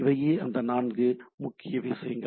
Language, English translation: Tamil, So, these are the four predominant stuff